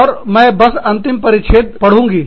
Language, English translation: Hindi, And, I will just read out the last paragraph